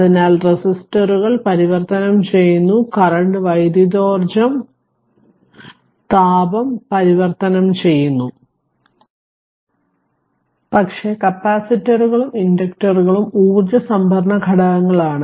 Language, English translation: Malayalam, So, resistors convert your current your convert electrical energy into heat, but capacitors and inductors are energy storage elements right